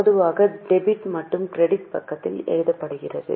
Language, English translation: Tamil, Normally 2 and buy is written on debit and credit side